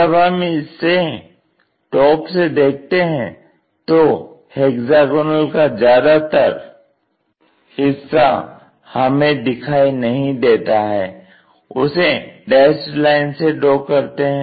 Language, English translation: Hindi, When we are looking at this most of this hexagon is invisible other than the edges